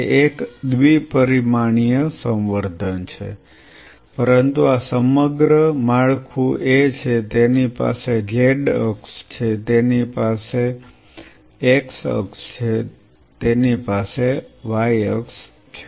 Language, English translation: Gujarati, It is a two dimensional culture, but this whole structure is a it has a z axis right it has a z axis, it has a x axis it has a y axis fair enough